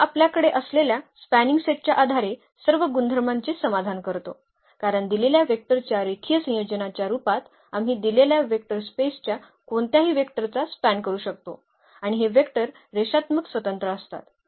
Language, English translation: Marathi, So, it satisfies all the properties of the basis we have this is a spanning set because, we can span any vector of the given vector space in the form of as a linear combination of the given vectors and also these vectors are linearly independent